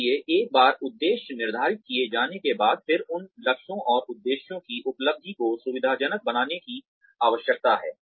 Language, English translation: Hindi, So, once the objectives have been set, then one needs to facilitate the achievement of those goals and objectives